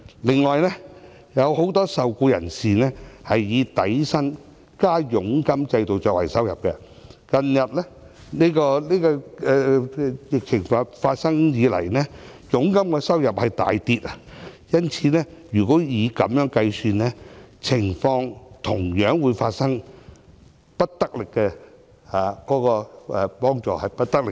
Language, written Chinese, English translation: Cantonese, 此外，有很多受僱人士是以底薪加佣金的制度來計算收入，疫情發生以來，他們的佣金收入大跌，因此，如果以此來計算，同樣會發生幫助力度不足的問題。, As the income of many employees is calculated on the basis of basic salary plus commission given that their commission has reduced drastically since the onset of the epidemic if the above method is adopted in calculating the wage subsidy the assistance provided will similarly be insufficient